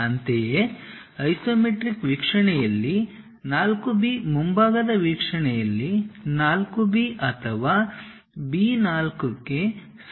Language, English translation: Kannada, Similarly, 4 B in the isometric view is equal to 4 B or B 4 in the frontal view